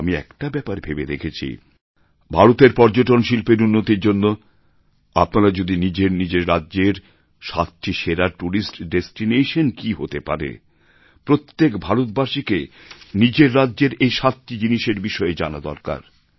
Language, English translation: Bengali, A thought comes to my mind, that in order to promote tourism in India what could be the seven best tourist destinations in your state every Indian must know about these seven tourist spots of his state